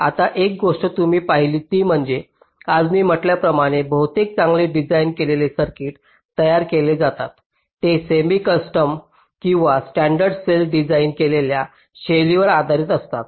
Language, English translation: Marathi, now, one thing you observe is that today, as i had said earlier, most of the well assigned circuits that are that are manufactured, they are based on the semi custom or the standard cell designed style